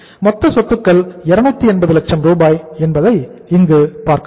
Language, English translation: Tamil, If you see the total assets here, total assets are 280, Rs